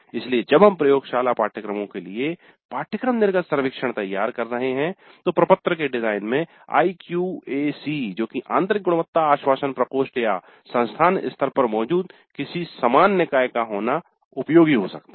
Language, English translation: Hindi, So when we are designing the course exit surveys for the laboratory courses it may be worthwhile having IQAC participate in the design of the form, the internal quality assurance help or some similar body which exists at the institute level if that body participates in the design of exit survey form there are certain advantages